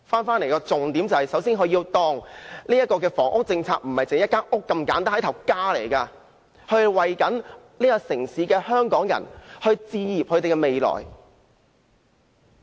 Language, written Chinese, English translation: Cantonese, 首先，政府不要把房屋政策視作一間房屋那麼簡單，房屋是一個家，要為這個城市的香港人置業，讓他們建立未來。, First of all the Government should not consider its housing policy simply as a policy on housing construction . A housing unit is a home . The Government should facilitate Hong Kong people in this city to own property and build their future